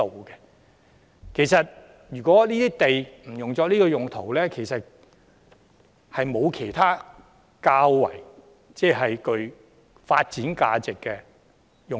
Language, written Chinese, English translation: Cantonese, 因此，即使這些土地不是作現時的用途，也不見得會有其他較具發展價值的用途。, Hence even if they were not used for the current purpose I do not think they could be granted for other purposes of higher development potential